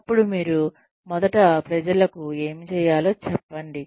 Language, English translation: Telugu, Then, you first tell people, what you need them to do